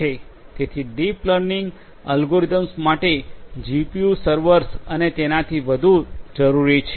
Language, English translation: Gujarati, So, deep learning algorithms will require GPU servers and the like